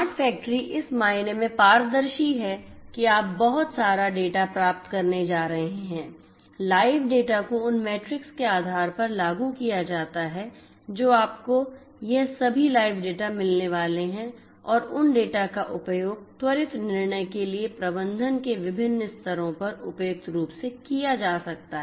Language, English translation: Hindi, Smart factory is transparent in the sense that you are going to get lot of data, live data you know depending on the metrics that are implemented you are going to get all this live data and those data can be used suitably at different levels of management for quicker decision making so, transparency is also promoted in a smart factory